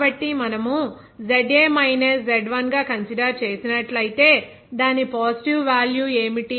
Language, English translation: Telugu, So, if we consider that ZA minus Z1 it is simply what is the positive value